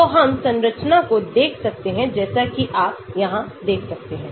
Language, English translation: Hindi, so we can look at the structure as you can see here